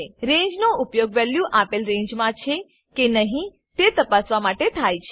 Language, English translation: Gujarati, Ranges are used to identify whether a value falls within a particular range, too